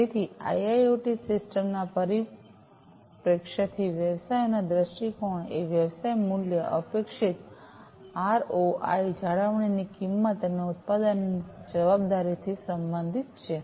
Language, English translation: Gujarati, So, the business viewpoint from the perspective of an IIoT system is related to the business value, expected ROI, cost of maintenance, and product liability